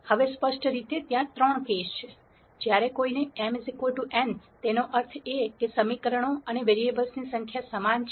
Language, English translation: Gujarati, Now, clearly there are three cases that one needs to address when m equals n; that means, the number of equations and variables are the same